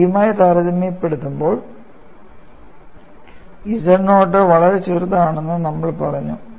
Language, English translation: Malayalam, We simply said z naught is much smaller compared to a, that could be relaxed